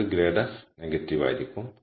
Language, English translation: Malayalam, So, we have grad of f so negative grad of f would be negative